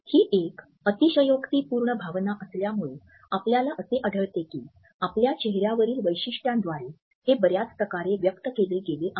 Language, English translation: Marathi, As it is an exaggerated emotion, we find that there are many ways in which it is expressed in an exaggerated manner by our facial features